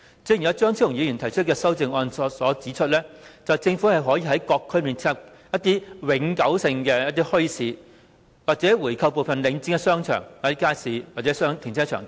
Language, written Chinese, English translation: Cantonese, 正如張超雄議員提出的修正案指出，政府可以在各區設立一些永久墟市或購回部分領展的商場、街市、停車場等。, As pointed out in the amendment proposed by Dr Fernando CHEUNG the Government can set up permanent bazaars in various districts or buy back from Link REIT some of the shopping arcades markets or car parks